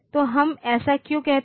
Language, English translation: Hindi, So, why do we say this